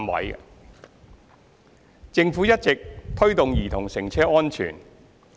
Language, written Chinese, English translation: Cantonese, 二及三政府一直推動兒童乘車安全。, 2 and 3 The Government has been promoting child safety in cars